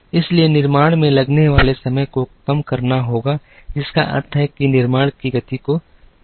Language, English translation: Hindi, So, the time taken to manufacture has to come down which also means, that the speed of manufacture has to go up